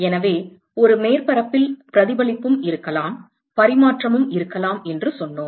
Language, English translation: Tamil, So, so, we said that in a surface there can also be reflection and there can also be transmission, right